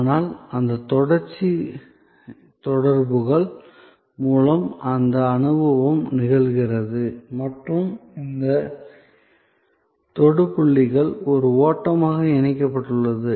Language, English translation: Tamil, But, that experience happens through these series of touch points and this touch points are linked as a flow